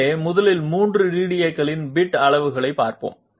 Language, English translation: Tamil, So first of all let us see the bit sizes of all three DDAs